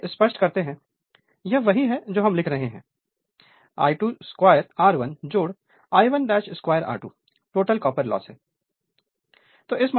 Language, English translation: Hindi, So, let me clear it so, this is what we are writing that your I 2 dash square R 1 right plus I 2 dash square R 2 right total copper loss